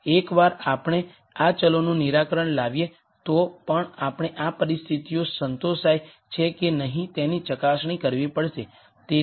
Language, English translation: Gujarati, Once we solve for these variables we have to still verify whether this conditions are satisfy or not